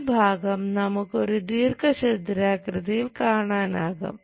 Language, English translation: Malayalam, This much portion we will see as rectangle